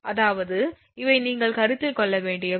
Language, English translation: Tamil, I mean these are the thing you have to consider